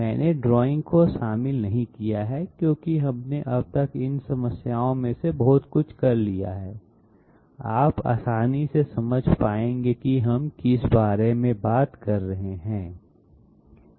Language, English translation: Hindi, I have not included the drawing because we have done so many of these problems till now, you would be easily able to grasp what we are talking about